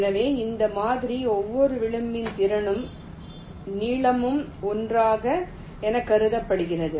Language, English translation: Tamil, so in this model the capacity and the length of each edge is assume to be one